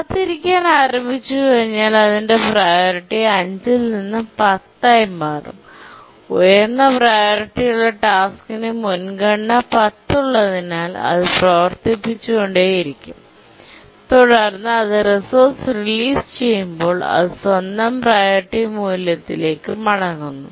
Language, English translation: Malayalam, Sorry, once it starts waiting, its priority changes from 5 to 10 and it keeps on executing as a high priority task with priority 10 and then as it religious resource it gets back its own priority value